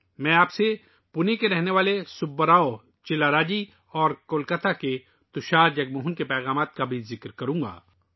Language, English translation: Urdu, I will also mention to you the message of Subba Rao Chillara ji from Pune and Tushar Jagmohan from Kolkata